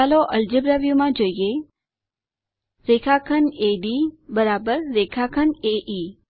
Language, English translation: Gujarati, Lets see from the Algebra view that segment AD=segment AE